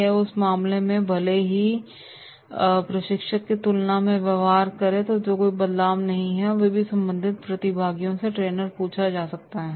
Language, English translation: Hindi, Or in that case even if there is no change in behaviour than the trainer has to ask with the concerned participants